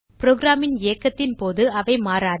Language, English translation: Tamil, They do not change during the execution of program